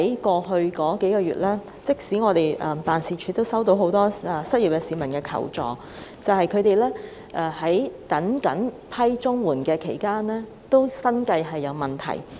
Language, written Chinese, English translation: Cantonese, 過去數月，我們的議員辦事處收到很多失業市民的求助，他們在等候審批綜援期間，生計已經出現問題。, In the past few months our Members offices received many requests for assistance from the unemployed as they could not make ends meet while awaiting CSSA approval